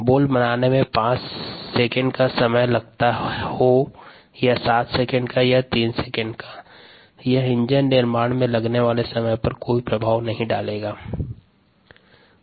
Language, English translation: Hindi, whether it takes five seconds to manufacture a bolt or seven seconds to manufacture a bolt, or three seconds to manufacture a bolt, has no impact on the time there it takes to build an engine